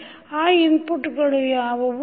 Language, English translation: Kannada, What are those inputs